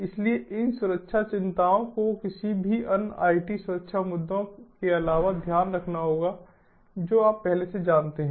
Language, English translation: Hindi, so these security concerns have to be taken care of in addition to any other it security issues that you already know